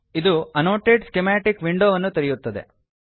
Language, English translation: Kannada, This will open the Annotate Schematic window